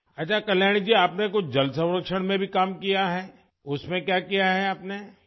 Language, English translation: Urdu, Okay Kalyani ji, have you also done some work in water conservation